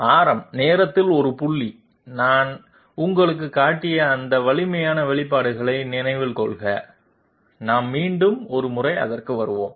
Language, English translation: Tamil, Please remember those formidable expressions I have shown you one point in time of the radius, we will come back to it once again